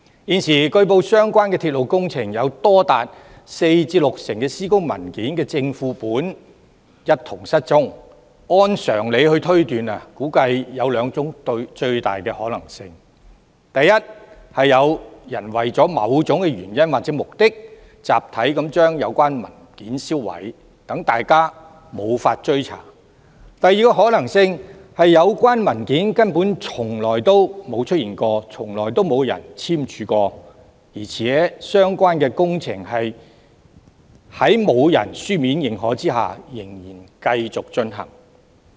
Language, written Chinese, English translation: Cantonese, 現時據報相關鐵路工程有多達四至六成施工文件的正、副本一同失蹤，按常理推斷估計有兩種最大可能性：第一，有人為了某種原因或目的，集體把有關文件銷毀，讓大家無法追查；第二個可能性是有關文件根本從來沒有出現、沒有人簽署，相關工程在沒有書面認可下仍然繼續進行。, Now it has been reported that both the originals and duplicates of as many as 40 % to 60 % of the construction documents of the relevant railway project have gone missing . Deducing by common sense I guess the two greatest possibilities are first for a certain reason or purpose some people have destroyed as a collective act the relevant documents so that nothing can be traced; and second actually the relevant documents have never existed and never been signed . The relevant works have nevertheless proceeded without written authorization